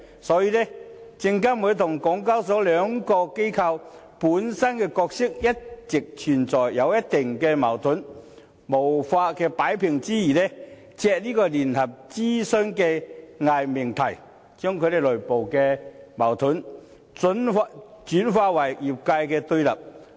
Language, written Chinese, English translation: Cantonese, 所以，證監會和港交所兩個機構本身的角色一直存在一定矛盾，在無法擺平之餘，借聯合諮詢這個偽命題，把其內部矛盾轉化為業界的對立。, The respective roles of SFC and SEHK have been in conflict all along . Unable to resolve the conflict they have sought to turn it into a kind of confrontation in the industry using the misnomer of joint consultation